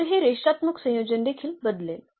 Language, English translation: Marathi, So, this linear combination will also change